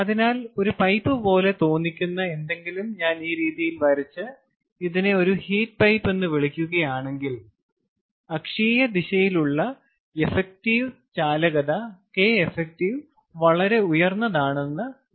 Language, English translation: Malayalam, so lets say, if i draw something that looks like a pipe in this manner and call this a heat pipe, then the effective conductivity along the axial direction k effective, lets say in the axial direction, is very, very high